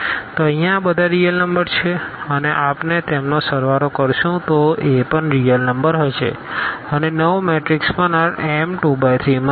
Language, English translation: Gujarati, So, here these are all real numbers when we add them they would be also real number and the new matrix will also belongs to this set here m 2 by 3